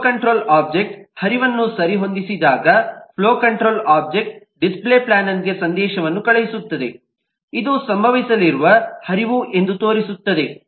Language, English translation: Kannada, when the flow control object has adjusted the flow, the flow control object would sent the message to the display panel say that to display that this is going to be the flow that is going to happen